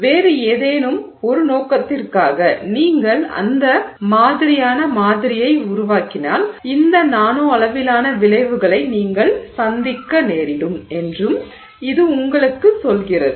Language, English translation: Tamil, It also tells you that if you were to make that kind of a sample for some other purpose you may encounter these nanoscale effects